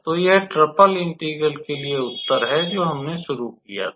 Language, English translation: Hindi, So, this is the required answer for the integral for the triple integral which we started with